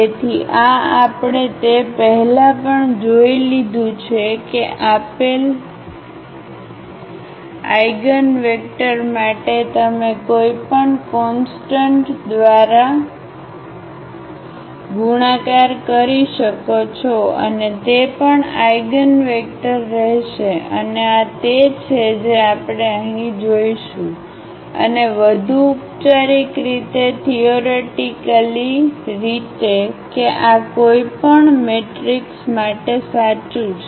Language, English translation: Gujarati, So, this we have also seen before that for the given eigenvector you can multiply by any constant and that will also remain the eigenvector and this is what we will see here, and more formally theoretically that this is true for any matrix